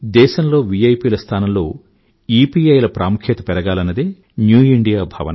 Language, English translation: Telugu, Our concept of New India precisely is that in place of VIP, more priority should be accorded to EPI